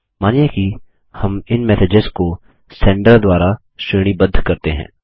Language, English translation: Hindi, Lets say we want to sort these messages by Sender